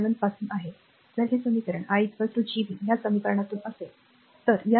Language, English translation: Marathi, 7, if these equation i is equal to Gv from this equation, right